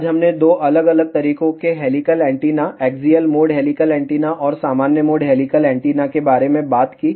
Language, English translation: Hindi, Today, we talked about two different modes of helical antenna, axial mode helical antenna and normal mode helical antenna